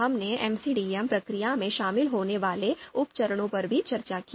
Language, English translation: Hindi, We also discussed the sub steps that are involved in MCDM process